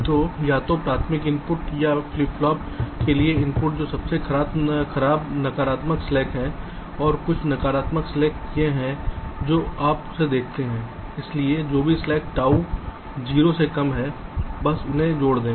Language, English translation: Hindi, so either the primary outputs or the input to the flip flops, which is the worst negative slack, and the total negative slack is that